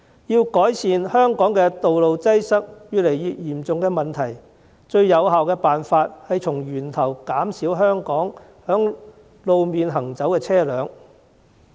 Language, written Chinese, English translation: Cantonese, 要改善香港道路擠塞越來越嚴重的問題，最有效的辦法是從源頭減少在路面行走的車輛。, To rectify the increasingly serious problem of traffic congestion on Hong Kong roads the most effective way is to reduce at source the number of vehicles travelling on the roads